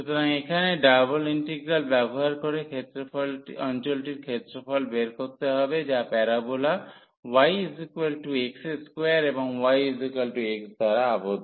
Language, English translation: Bengali, So, here using a double integral find the area of the region enclosed by the parabola y is equal to x square and y is equal to x